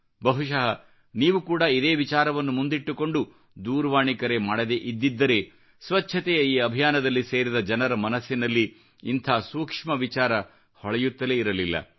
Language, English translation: Kannada, If you had not made a call about this aspect, perhaps those connected with this cleanliness movement might have also not thought about such a sensitive issue